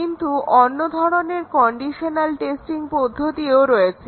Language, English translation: Bengali, But there are other conditional testing techniques